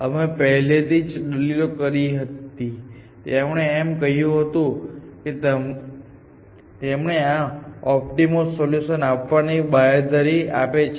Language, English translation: Gujarati, We have already argued and he said that, we guarantee that it will give you the optimal solution